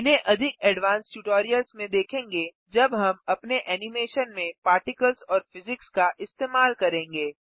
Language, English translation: Hindi, These shall be covered in more advanced tutorials when we use Particles and Physics in our animation